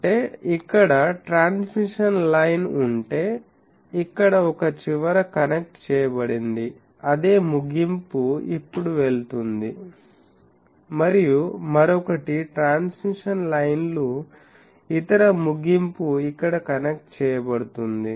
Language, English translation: Telugu, That means if there is a transmission line here, so one end is connected here, the same end now goes and the other one is transmission lines, other end connects here ok